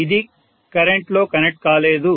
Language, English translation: Telugu, It is not connected in current